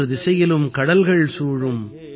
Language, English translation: Tamil, Surrounded by seas on three sides,